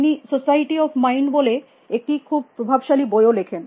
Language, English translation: Bengali, He also wrote a very Influential book also society of mind